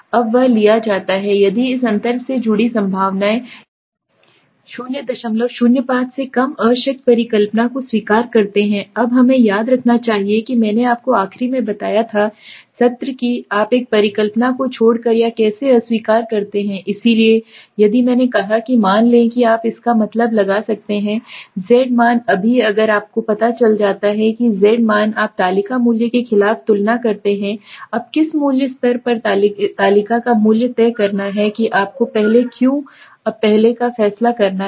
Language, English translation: Hindi, 05 reject the null hypothesis now we should remember I had told you in the last session also how do you except or reject a hypothesis so if I said the suppose you can find out the z value right now if the z value that you have found out you compare it against the table value now table value at what confidence level that you have to decide earlier now why earlier